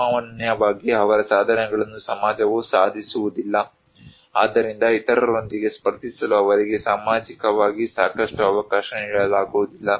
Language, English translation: Kannada, Generally, their achievements are not achieved by society, so they are not given enough opportunity socially to compete with other